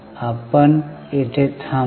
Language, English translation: Marathi, So, let us stop here